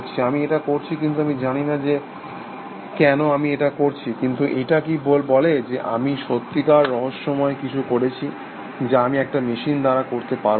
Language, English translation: Bengali, I did this, but I did not know why I did this, but does this say that, I was doing something really mysterious, which I cannot reproduce in a machine